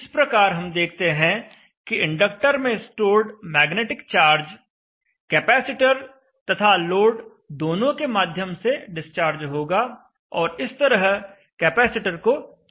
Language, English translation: Hindi, So you will see that the inductor the stored magnetic charge in the inductor will discharge both through the capacitor and the load